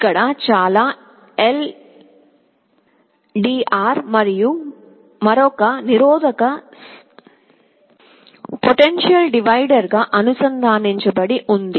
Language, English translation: Telugu, Here, with very is an LDR and another resistance connected as a potential divider